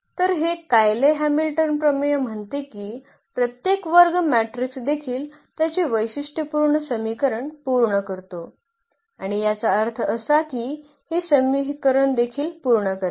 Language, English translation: Marathi, So, that this Cayley Hamilton theorem says that every square matrix also satisfies its characteristic equation and that means, that A will also satisfy this equation